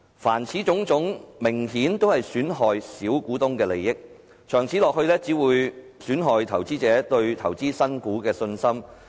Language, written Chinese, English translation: Cantonese, 凡此種種明顯都是損害小股東的利益，長此下去只會損害投資者對投資新股的信心。, All of these have blatantly undermined the interest of minority shareholders . If things go on this way it will only undermine the confidence of investors in investing new shares